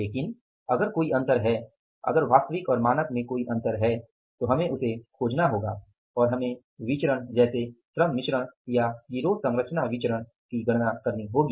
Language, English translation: Hindi, But if there is any difference then we will have to look for and we will have to calculate the variances, the labor mixed variances or the gang composition variances